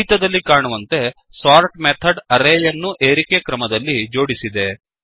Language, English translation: Kannada, As we can see in the output, the sort method has sorted the array in the ascending order